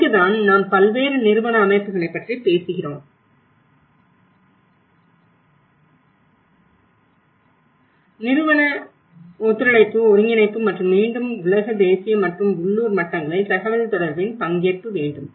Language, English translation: Tamil, And this is where we talk about different institutional bodies, how institutional cooperation, coordination and again at participation communication, the global and national and local levels